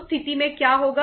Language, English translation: Hindi, In that case what will happen